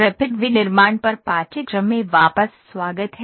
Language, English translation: Hindi, Welcome back to the course on Rapid Manufacturing